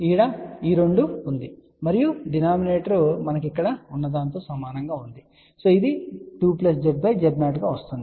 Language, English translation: Telugu, So, this two remains two and the denominator will be same as what we had over here which is 2 plus Z by Z 0